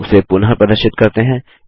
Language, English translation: Hindi, Lets make it visible again